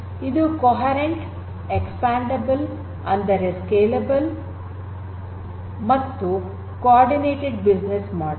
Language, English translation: Kannada, Supports a coherent, expandable; that means, scalable and coordinated business model; coordinated business model